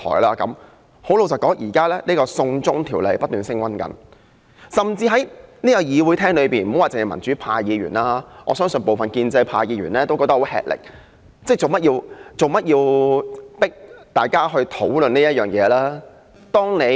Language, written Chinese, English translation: Cantonese, 老實說，現時"送中條例"不斷升溫，在會議廳內不單是民主派議員，我相信部分建制派議員都感到吃力，質疑為何要迫大家討論這件事。, Honestly this send China bill has been gaining heat . In this Chamber the democratic Members are not the only ones finding this hard to deal with . I believe some pro - establishment Members also feel the same